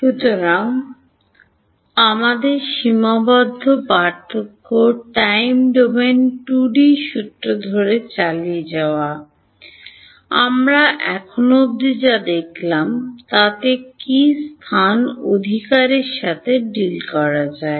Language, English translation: Bengali, So continuing with our Finite Difference Time Domain 2D Formulation is what we are looking at what we have seen so far is how to deal with space right